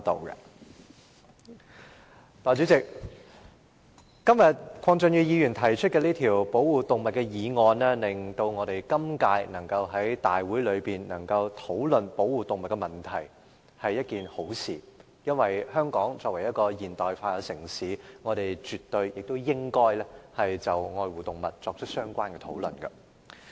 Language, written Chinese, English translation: Cantonese, 代理主席，鄺俊宇議員今天提出這項保護動物的議案，令今屆議員能夠在大會上討論保護動物的問題，是一件好事，因為香港作為現代化城市，我們絕對亦應該就愛護動物作出相關討論。, Deputy President this motion on animal protection moved by Mr KWONG Chun - yu today has enabled Members to discuss the issue of animal protection at a Council meeting in this term . This is a good thing . Hong Kong is a modern city